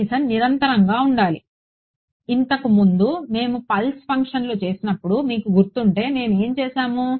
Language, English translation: Telugu, At least continuous; previously if you remember when we had done the pulse functions what will what did we do